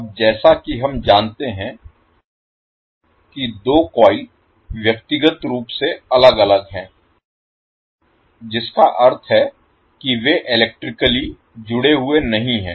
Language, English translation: Hindi, Now as we know that the two coils are physically separated means they are not electrically connected